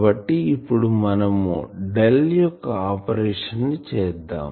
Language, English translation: Telugu, So, just we will have to perform this Del operation